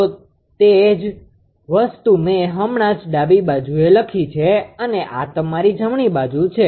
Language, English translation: Gujarati, So, same thing just I have written left hand side here it is your right hand side